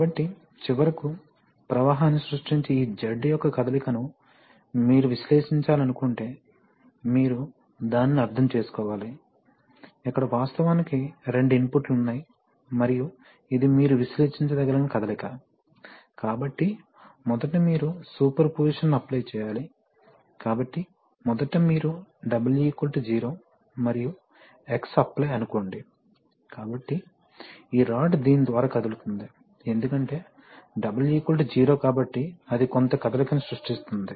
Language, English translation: Telugu, So if you want to analyze the motion of this Z, which finally creates the flow, then you have to understand that then you have to look at it like this, so you see that, first when you imagine that, first there are, there are actually two inputs and this is the motion that you want to analyze, so first of all you apply superposition, so first of all you apply assume that W is 0 and X is applied, so then the this rod is going to move about this, because W is 0, so pivoted to this, that will create some motion